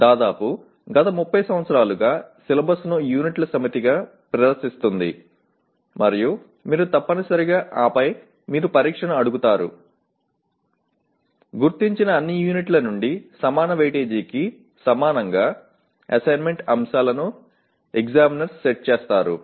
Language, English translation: Telugu, This has been the practice for almost last 30 years where syllabus is presented as a set of units and you essentially and then you ask the examination, the examiners to set assessment items equally of equal weightage from all the identified units